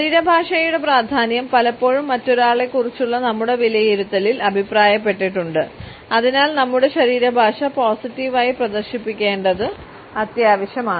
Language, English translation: Malayalam, The significance of body language has often been commented on in our appraisal of the other person and therefore, it is important for us to exhibit our body language in a positive manner